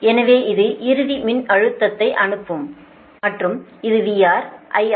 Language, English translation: Tamil, so this is the sending end voltage and this is v r i r